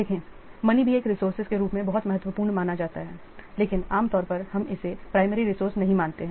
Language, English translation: Hindi, See, money, it is also considered as a resource, very important, but normally we do not consider it as a primary resource